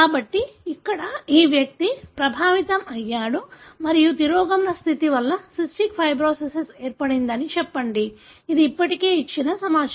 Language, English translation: Telugu, So here, this individual is affected and let us say cystic fibrosis is resulting from a recessive condition; that is what the information already given